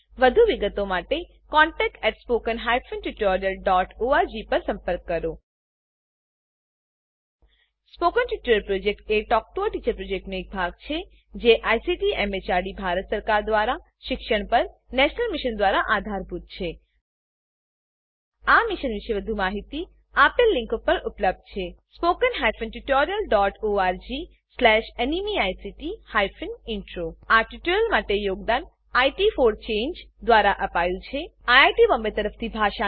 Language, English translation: Gujarati, For more details please write to contact@spoken tutorial.org Spoken Tutorial Project is a part of the Talk to a Teacher Project It is Supported by the National Mission on education through ICT, MHRD, Government of India More information on this mission is available at spoken tutorial.org/NMEICT Intro This tutorial has been contributed by IT for Change Thank you for joining us.